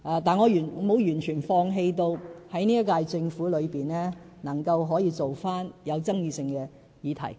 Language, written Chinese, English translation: Cantonese, 但是，我並非完全放棄在本屆政府任內，處理有爭議性的議題。, Yet I will not totally give up the idea of handling the controversial issues in the term of the current Government